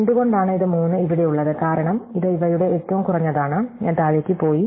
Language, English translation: Malayalam, Similarly, why is this 3 here, because this is the minimum of these, so I went down